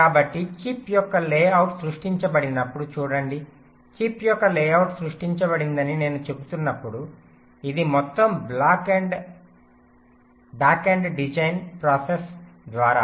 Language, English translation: Telugu, so when i say layout of the chip is created, it is through the entire back end design process